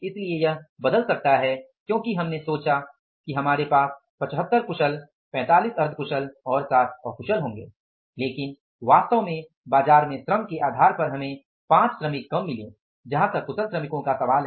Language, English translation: Hindi, So, it can change because we thought we will be having 75 skilled, 45 semi skilled and 60 unskilled but actually depending upon the labor in the market we could get 5 workers less as far as the skilled workers are concerned